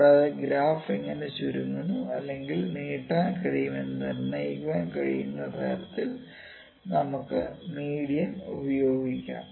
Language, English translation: Malayalam, Also we can use median to that may determine the how the graph shrinks or stretches that can determine